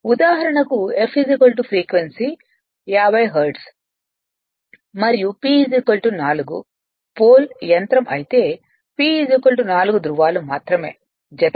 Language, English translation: Telugu, For example, if F is equal to frequency is 50 hertz and P is equal to say 4 pole machine, that P is equal to 4 no question of pair only poles